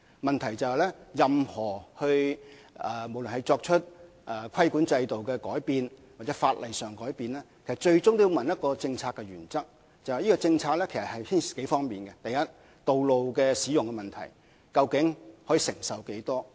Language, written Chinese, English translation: Cantonese, 問題在於任何對規管制度或法例所作出的改變，最終也觸及一個政策原則，牽涉以下數方面的政策：第一是道路使用問題，承受能力究竟有多大。, The main point here is that any changes to the regulatory regime or relevant legislation will eventually touch on policy principles . And there are several policy considerations . First it is the issue of road use which is about road space capacity